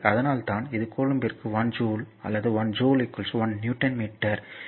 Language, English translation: Tamil, So, that is why it is 1 joule per coulomb or 1 joule is equal to your 1 Newton meter